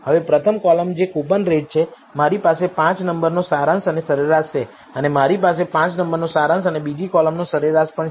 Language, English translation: Gujarati, Now, the first column which is coupon rate, I have the 5 number summary and the mean and I also have the 5 number summary and the mean for the second column